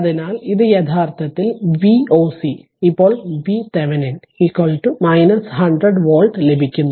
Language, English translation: Malayalam, So, this is actually we are getting V oc Thevenin is equal to minus 100 volt now